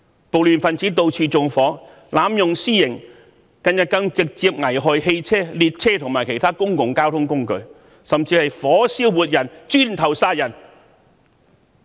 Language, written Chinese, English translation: Cantonese, 暴亂分子到處縱火，濫用私刑，近日更直接危害汽車、列車和其他公共交通工具，甚至火燒活人、以磚頭殺人。, Rioters set fire wantonly executed vigilante justice indiscriminately and even directly endangered the safety of vehicles trains and other means of public transport recently . Worse still they even set fire on a living person and killed another one by hurling bricks